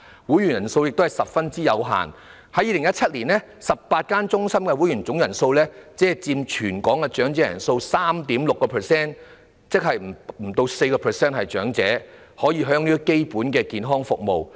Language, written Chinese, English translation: Cantonese, 會員人數也十分有限，在2017年 ，18 間中心的會員總人數只佔全港長者人數的 3.6%； 換言之，不足 4% 的長者可享用基本的健康服務。, The number of members is also limited . In 2017 the total number of members of the 18 centres accounted for only 3.6 % of all the elderly people in Hong Kong . In other words less than 4 % of the elderly could enjoy basic health services